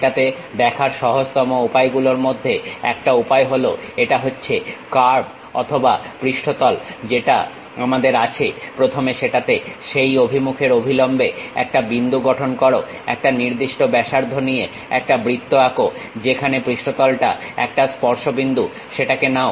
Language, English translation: Bengali, One way of easiest way of looking at that is, this is the curve or surface what we have first construct a point in that normal to that direction, draw a circle with one particular radius, wherever that surface is a tangential point pick it